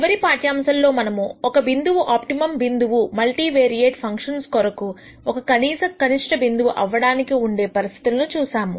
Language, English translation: Telugu, In the last lecture we saw the conditions for a point to be an optimum point a minimum point for multivariate functions